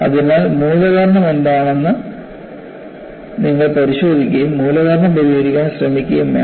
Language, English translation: Malayalam, So, you have to look at what is the root cause and try to address the root cause